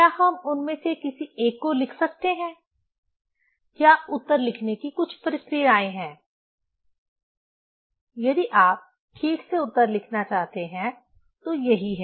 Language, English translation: Hindi, Can we write any one of them or there are some procedure to write the answer; that is what if you want to write answer properly